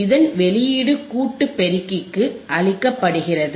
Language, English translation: Tamil, And the output of this is fed to the summing amplifier